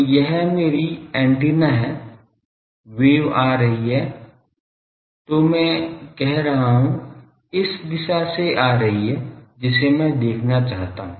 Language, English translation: Hindi, So, this is my antenna the wave is coming; so, I am saying from this direction I want to see